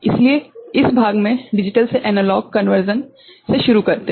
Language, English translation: Hindi, So, we begin with digital to analog conversion this part